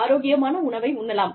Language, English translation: Tamil, I can eat healthy food